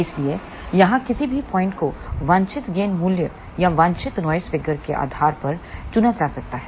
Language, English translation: Hindi, So, any point over here can be chosen depending upon the desired gain value or desired noise figure